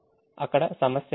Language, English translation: Telugu, there is no problem there we have